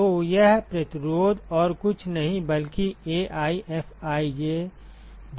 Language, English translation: Hindi, So, this resistance is nothing but 1 by AiFij